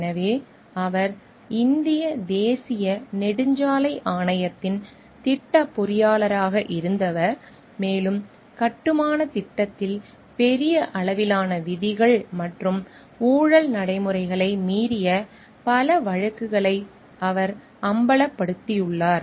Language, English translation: Tamil, So, he was a project engineer of the National Highway Authority of India and he has exposed several cases of large scale flouting of rules and corrupt practices in the construction project